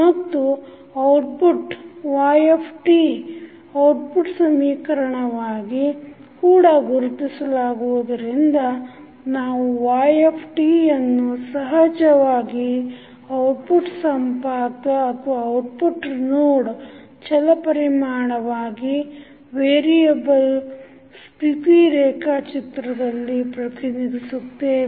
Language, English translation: Kannada, And then the output yt will also be identified in the output equation we will represent yt that is naturally an output node variable in the state diagram